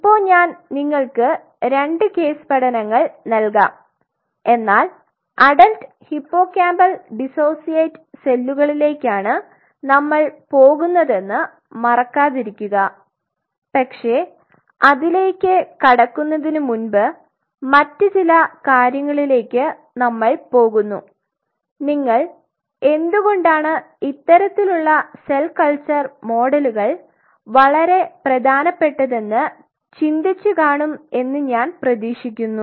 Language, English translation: Malayalam, Now I will give you two cases studies before again remember that do not lose the sight of this fact adult hippocampal dissociate cell this is where we are heading, but before we head into this there are several other things what I expect you I should think that why these kinds of cell culture models are so very important